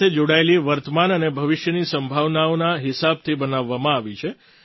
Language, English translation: Gujarati, This policy has been formulated according to the present and future prospects related to drones